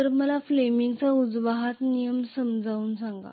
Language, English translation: Marathi, So let me explain fleming’s right hand rule